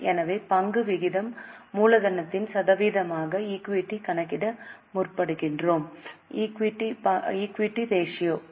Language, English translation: Tamil, So, equity ratio, we seek to calculate equity as a percentage of capital employed